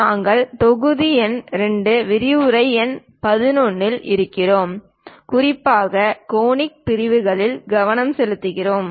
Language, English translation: Tamil, We are in module number 2, lecture number 11, especially focusing on Conic Sections